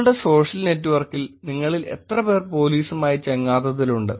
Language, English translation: Malayalam, How many of you are friends with the police on your social network